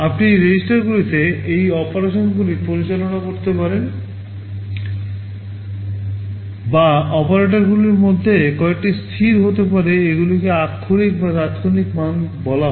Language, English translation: Bengali, You may carry out these operations on registers, or some of the operands may be constants these are called literals or immediate values